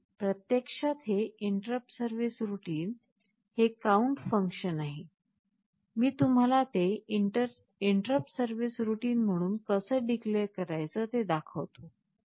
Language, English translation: Marathi, See, this is actually the interrupt service routine, this count function, I will show you how we declare it as an interrupt service routine